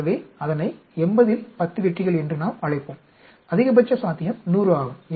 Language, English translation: Tamil, So, we will call it 10 successes out of 80, maximum possible is 100